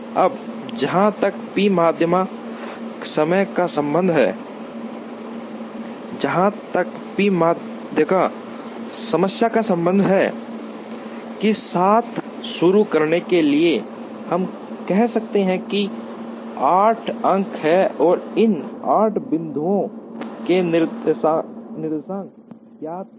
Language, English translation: Hindi, Now, as far as the p median problem is concerned, to begin with we may say that, there are 8 points and the coordinates of these 8 points are known